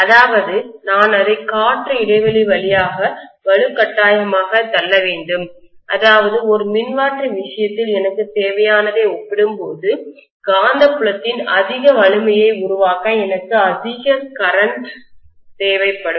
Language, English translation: Tamil, That means I have to forcefully push it through the air gap which means I will require more current to produce a higher strength of the magnetic field as compared to what I would require in the case of a transformer